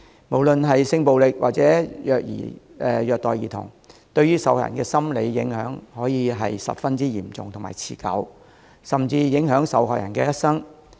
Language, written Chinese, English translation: Cantonese, 無論是性暴力，或者虐待兒童，受害人所受的心理影響可以十分嚴重和持久，甚至影響一生。, No matter whether it is a sexual violence or child abuse case the psychological impact experienced by the victims can be very serious and persistent and may even affect their entire life